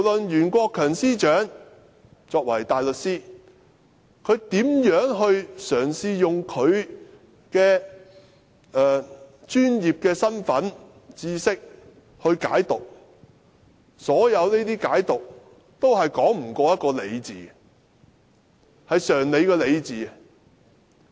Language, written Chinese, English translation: Cantonese, 袁國強司長身為大律師，無論他如何嘗試運用其專業身份和知識來解讀條文，所有這些解讀也說不過常理。, As a barrister himself Secretary for Justice Rimsky YUEN has interpreted the provision using his professional capacity and knowledge . But his interpretation cannot get the better of common sense